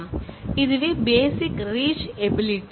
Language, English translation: Tamil, So, that is the basic reach ability